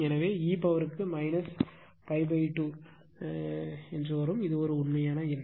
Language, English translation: Tamil, So, e to the power minus pi by l it is a real number right